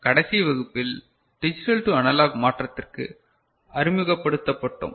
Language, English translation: Tamil, In the last class, we got introduced to Digital to Analog Conversion